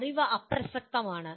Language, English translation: Malayalam, The knowledge is irrelevant